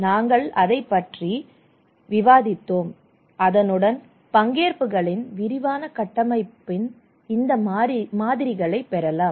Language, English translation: Tamil, We discussed about that, and with that one we can get these variables of a comprehensive framework of participations